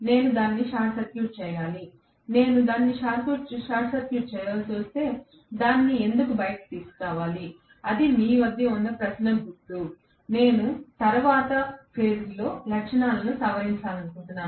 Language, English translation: Telugu, I need to short circuit it, if I need to short circuit it, why bring it out, that is the question mark you may have, I might like to modify the characteristics at a later point